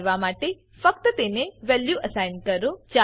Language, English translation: Gujarati, To do so, just assign a new value to it